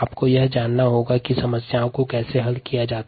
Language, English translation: Hindi, you need to ah know how to solve problems